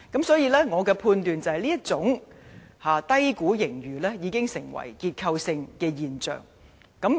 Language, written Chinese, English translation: Cantonese, 所以，我判斷這種低估盈餘已成結構性現象。, Therefore according to my judgment such under - estimation has become a structural issue